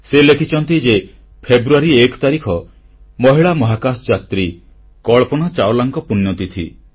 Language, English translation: Odia, He writes, "The 1 st of February is the death anniversary of astronaut Kalpana Chawla